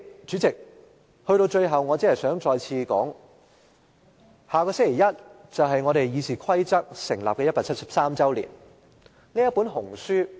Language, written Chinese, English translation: Cantonese, 主席，我最後只想指出，下星期一就是立法會《議事規則》訂立173周年的日子。, President here is my last point . Next Monday marks the 173 anniversary of the formulation of RoP of the Legislative Council